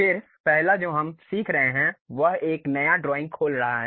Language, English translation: Hindi, Then the first one what we are learning is opening a New drawing